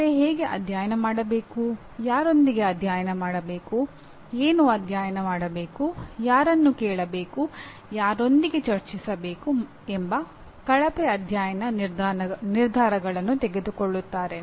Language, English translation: Kannada, That means how to study, with whom to study, what to study, whom to ask, with whom to discuss, they make poor study decisions like that